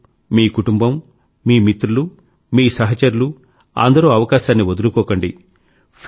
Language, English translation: Telugu, You, your family, your friends, your friend circle, your companions, should not miss the opportunity